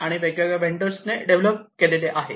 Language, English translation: Marathi, And they have been developed by the different vendors